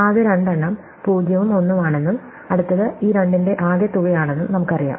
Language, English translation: Malayalam, We know that the first two are 0 and 1 and we know the next one is sum of these two